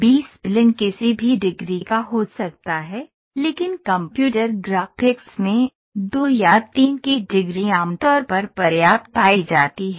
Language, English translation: Hindi, This spline can be of any degree, but in computer graphics the degree of 2 or 3, are generally found to be sufficient